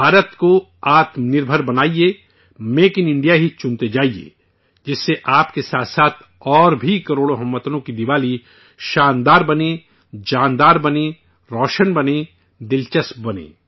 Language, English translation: Urdu, Make India selfreliant, keep choosing 'Make in India', so that the Diwali of crores of countrymen along with you becomes wonderful, lively, radiant and interesting